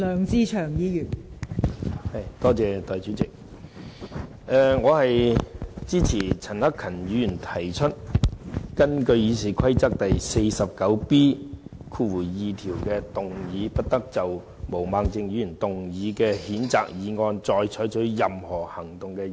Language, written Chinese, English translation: Cantonese, 代理主席，我支持陳克勤議員提出根據《議事規則》第 49B 條，動議"不得就毛孟靜議員動議的譴責議案再採取任何行動"的議案。, Deputy President I support the motion proposed by Mr CHAN Hak - kan under Rule 49B2A of the Rules of Procedure that no further action shall be taken on the censure motion moved by Ms Claudia MO